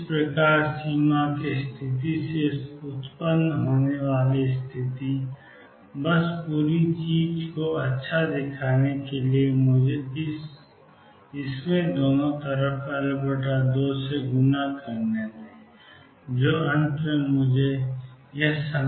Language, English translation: Hindi, Thus, the condition that arises from the boundary conditions; just to make the whole thing look nice let me multiply it by L by 2 on both sides beta L by 2 tangent of beta L by 2 is equal to alpha L by 2